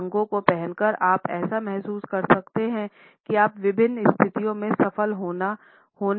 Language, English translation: Hindi, By wearing certain colors you can make people feel a certain way which could help you succeed in a variety of different situations